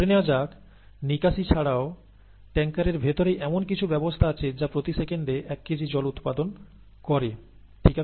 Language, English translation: Bengali, Now suppose that in addition to the leak, there is some mechanism inside the tank itself that is generating water at one kilogram per second, okay